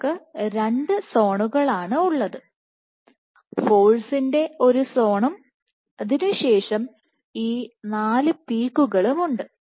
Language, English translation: Malayalam, And you have 2 zones one zone of 0 force followed by these 4 peaks